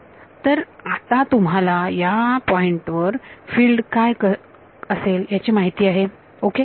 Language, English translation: Marathi, So, you now know the field on those points ok